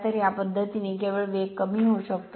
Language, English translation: Marathi, So, by this method only speed can be decrease right